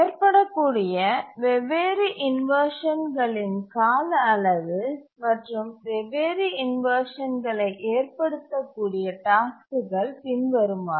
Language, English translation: Tamil, Now let's see what are the durations for which the different inversions can occur and the tasks due to which the different inversions can occur